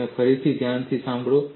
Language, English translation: Gujarati, You listen again carefully